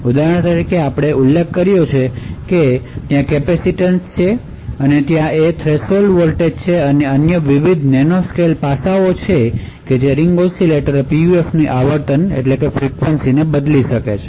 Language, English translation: Gujarati, So for example, we mentioned that there is capacitance that is involved; there is that threshold voltage and various other nanoscale aspects that could actually change the frequency of the Ring Oscillator PUF